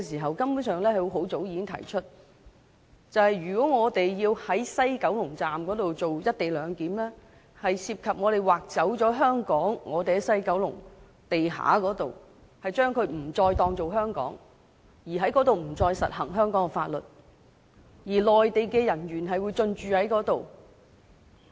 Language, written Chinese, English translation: Cantonese, 我們很早已經提出在西九龍站實施"一地兩檢"如同"劃走"香港，因為西九龍站地下某範圍將視為處於香港以外，香港法律再不適用，而內地人員亦會進駐該範圍。, A long time ago we already likened the implementation of the co - location arrangement at the West Kowloon Station WKS to a cession of land in Hong Kong because a certain part of the basement floor of WKS would be regarded as an area lying outside Hong Kong where the laws of Hong Kong would no longer apply and Mainland personnel would also be deployed to the area